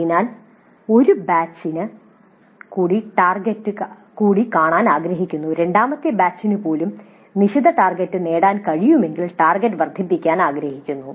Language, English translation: Malayalam, So we would like to see for one more batch and if you are able to attain the set targets even for the second batch then we would like to enhance the target